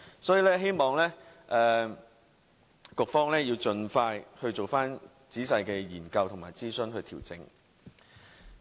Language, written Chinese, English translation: Cantonese, 所以，我希望局方盡快進行仔細研究和諮詢，作出調整。, Therefore I hope the Government will conduct a detailed study and consultation as soon as possible and make due adjustments